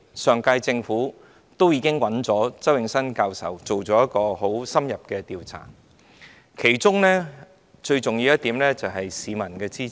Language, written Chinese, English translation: Cantonese, 上屆政府委託周永新教授進行很深入的調查，其中最重要的一點是市民的支持。, The last - term Government commissioned Prof Nelson CHOW to carry out a thorough survey which won the peoples support and this is the most important point